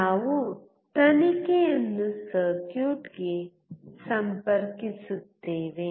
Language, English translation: Kannada, We connect the probe to the circuit